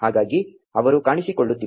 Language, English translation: Kannada, So, they are not showing up